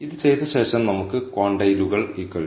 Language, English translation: Malayalam, After having done this we get the quantiles to be equal to 2